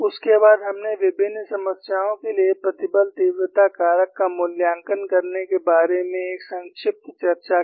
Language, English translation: Hindi, Then, we had a brief discussion on how to evaluate stress intensity factor for a variety of problems